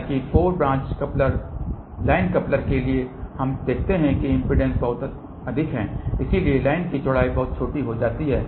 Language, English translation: Hindi, However, for 4 branch line coupler we notice that the impedance is very high so the line width becomes very small